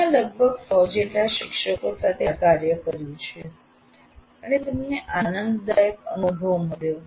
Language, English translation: Gujarati, We have done this with maybe a few hundred faculty and it is certainly an enjoyable experience